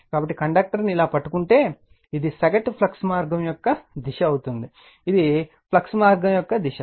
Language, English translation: Telugu, So, if you grabs the conductor like this, then this will be your the direction of the your mean flux path, this is the direction of the flux path right